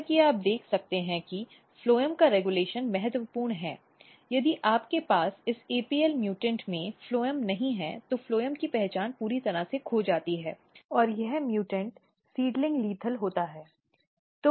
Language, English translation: Hindi, As you can see that and this regulation of phloem is very very important if you do not have phloem in this apl mutant phloem identity is totally lost and this mutant is seedling lethal